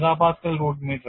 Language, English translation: Malayalam, 265 MP a root meter